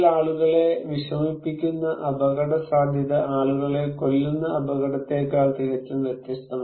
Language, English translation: Malayalam, The risk that upset people are completely different from than the risk that kill people